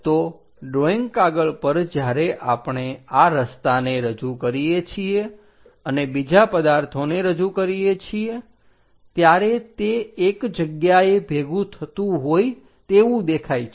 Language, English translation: Gujarati, So, on a drawing sheet when we are representing these road and other objects it looks like they are going to converge